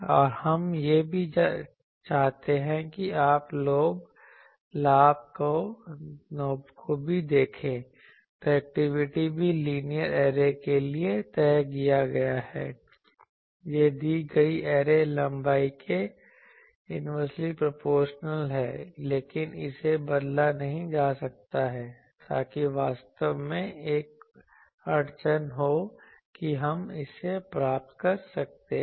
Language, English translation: Hindi, And also we want that the you see the gain also, the directivity is also fixed for linear arrays, it is inversely proportional to the given array length, but it cannot be changed, so that actually puts a bottleneck that ok, we can get it